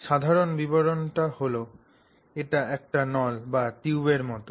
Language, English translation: Bengali, So, the general description is that it is like a tube